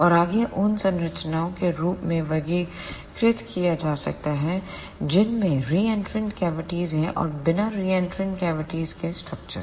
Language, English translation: Hindi, And ah further can be classified as the structures which has reentrant cavities and the structures without reentrant cavities